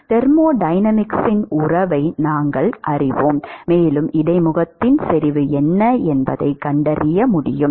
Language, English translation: Tamil, We know the relationship from thermodynamics and we should be able to find out what is the interface concentration